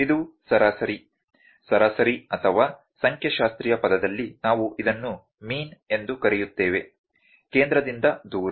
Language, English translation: Kannada, This is average, average or in statistical term we call it a mean, the distance from centre